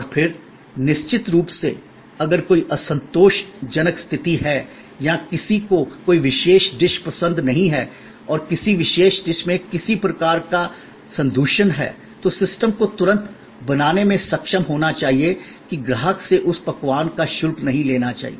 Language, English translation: Hindi, And then of course, you know, if there is an unsatisfactory situation or somebody did not like a particular dish and there was some kind of contamination in a particular dish, the system should be able to immediately create that the customer is not charged for that dish